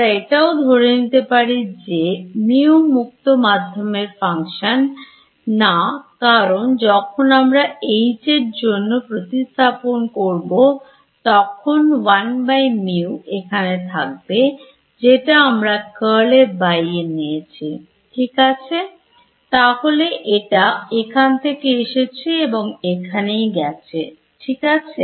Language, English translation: Bengali, I have also made the assumption that mu is not a function of space, because when I substituted for H over here there was a one by mu over here which I took outside the curl right